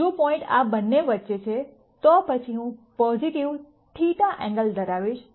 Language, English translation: Gujarati, If the point is between these two, then I am going to have a positive theta angle